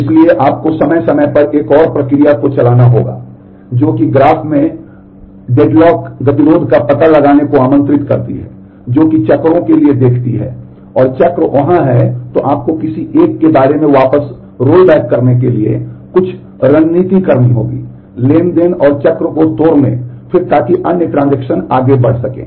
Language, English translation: Hindi, So, what you will need to do is periodically run another process which invokes the deadlock detection in the graph that is it looks for the cycles, and the cycle is there, then you have to do some strategy to roll back about one of the transactions, and break the cycle and then so that the other transaction can proceed